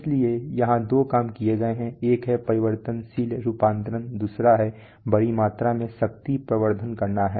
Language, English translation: Hindi, So the main, so there are two things done one is variable conversion, second thing is big amount of power amplification is to be done